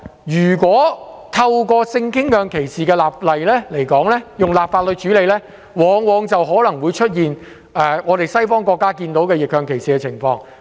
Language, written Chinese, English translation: Cantonese, 如果透過立法形式處理性傾向歧視，往往可能會出現西方國家的逆向歧視情況。, If we legislate against sexual orientation discrimination reverse discrimination may likely arise as seen in Western countries